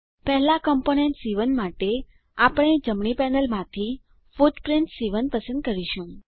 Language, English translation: Gujarati, For the first component C1, we will choose the footprint C1 from right panel